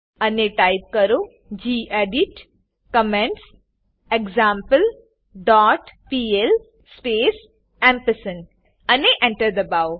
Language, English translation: Gujarati, And Type gedit commentsExample dot pl space and press Enter